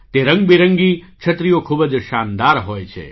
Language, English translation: Gujarati, These colourful umbrellas are strikingly splendid